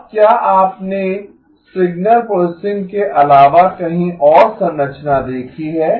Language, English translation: Hindi, Now have you seen the structure anywhere other than signal processing